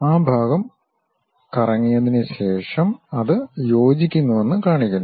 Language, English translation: Malayalam, After revolving that part, showing that it coincides that